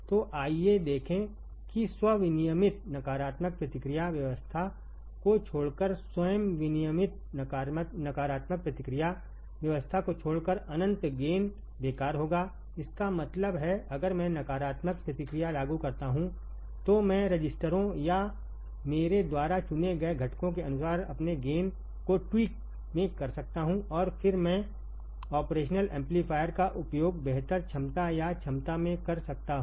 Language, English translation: Hindi, So, let us see infinite gain would be useless except in self regulated negative feedback regime except in self regulated negative feedback regime; that means, if I apply negative feedback, then I can tweak my gain according to the registers or the components that I select and then I can use the operational amplifier in much better capability or capacity